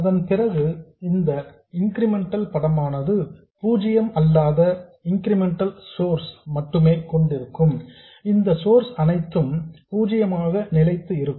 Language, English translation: Tamil, Then the incremental picture of this which is with only the incremental source being non zero, these sources which are fixed will be zero